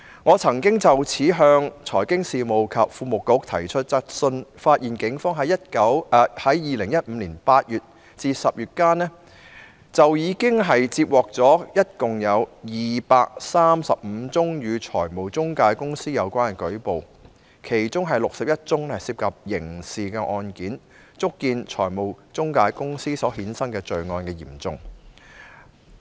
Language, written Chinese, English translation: Cantonese, 我曾經就此向財經事務及庫務局提出質詢，發現警方在2015年8月至10月間，共接獲235宗與財務中介公司有關的舉報，其中61宗是涉及刑事成分的案件，足見財務中介公司所衍生的罪案之嚴重。, I once put a question to the Financial Services and the Treasury Bureau about this and found that during the period from August to October 2015 the Police had received a total of 235 cases relating to financial intermediaries and 61 of which were of a criminal nature . This has aptly reflected the gravity of the crimes associated with financial intermediaries